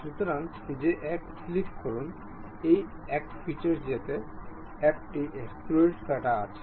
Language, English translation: Bengali, So, click that one, this one, go to features, there is extrude cut